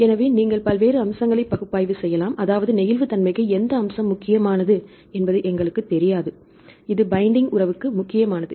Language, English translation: Tamil, So, you can analyze various features; that means we do not know which feature is important for the flexibility, which features important for the binding affinity right